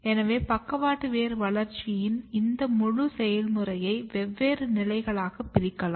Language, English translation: Tamil, So, this entire process of lateral root development can be divided into different stages